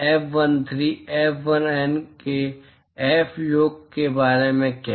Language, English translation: Hindi, What about F sum of F11, F13, F1N